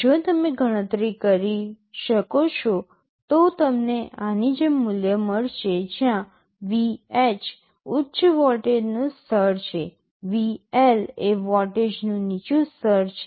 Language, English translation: Gujarati, If you calculate you will get a value like this, where VH is the high level of voltage, VL is the low level of voltage